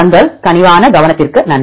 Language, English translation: Tamil, Thank you for your kind attention